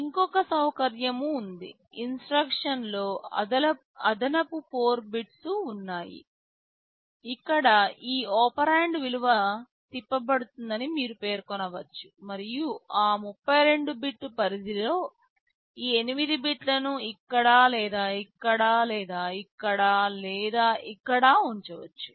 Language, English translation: Telugu, And there is another facility, there are additional 4 bits in the instruction where you can specify that these operand value will be rotated and means within that 32 bit range these 8 bits can be positioned either here or here or here or here